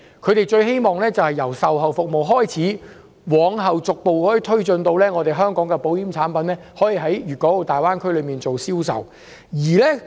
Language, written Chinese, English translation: Cantonese, 他們最希望由售後服務開始，往後逐步推進至香港的保險產品可以在大灣區內銷售。, They wish to start from the provision of policy servicing and gradually work towards the sale of Hong Kong insurance products in the Greater Bay Area